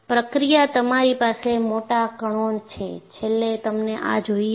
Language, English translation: Gujarati, In the process, you have large particles; ultimately, you want this